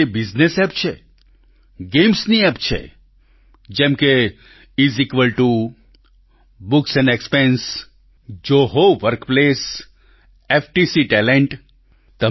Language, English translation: Gujarati, There are many business apps and also gaming apps such as Is Equal To, Books & Expense, Zoho Workplace and FTC Talent